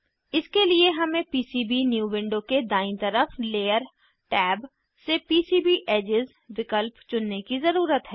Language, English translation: Hindi, For this we need to select PCB Edges option from Layer tab on the right side of PCBnew window